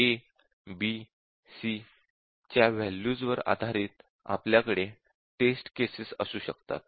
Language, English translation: Marathi, And based on this, the values of a, b, c, we can have the test cases